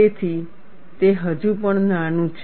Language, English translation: Gujarati, So, it is still small